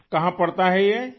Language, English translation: Urdu, Where does this lie